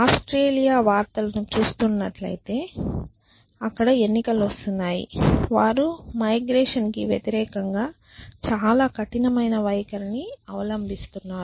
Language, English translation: Telugu, For, so those of you have been following Australian news and elections are coming up they have been taking a very strict stand against emigration